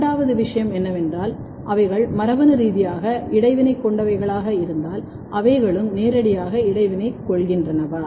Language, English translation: Tamil, The next thing is that, if they are genetically interacting what would be the next question, are they physically interacting as well